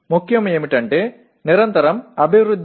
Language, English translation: Telugu, What is important is continuous improvement